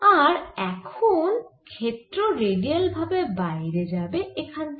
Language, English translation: Bengali, after that the field is radial all over the place